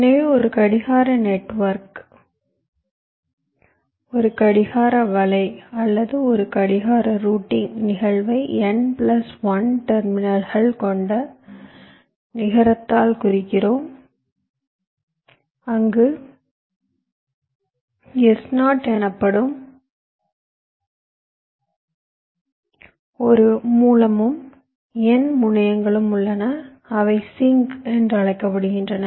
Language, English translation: Tamil, so we define a clock network, a clock net or a clock routing ins[tance] instance as represented by a net with n plus one terminals, where there is one source called s zero and there are n terminals, s called sinks